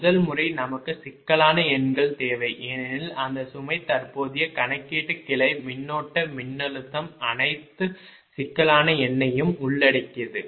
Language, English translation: Tamil, first method, we need complex numbers are involved because ah, that load, current computation, branch, current voltage, all complex number are involve